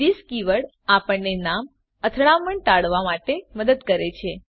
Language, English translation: Gujarati, this keyword helps us to avoid name conflicts